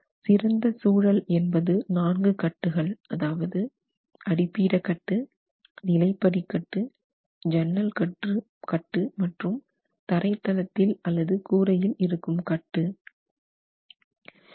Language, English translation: Tamil, So, the best situation would be if you are able to provide these four bands, plinth band, sill band, lintel band and roof band, or flow band